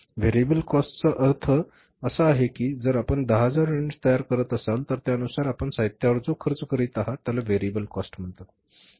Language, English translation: Marathi, Variable cost is that if you are manufacturing 10,000 units you are spending on the material accordingly